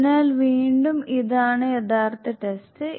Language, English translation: Malayalam, So again this is the actual test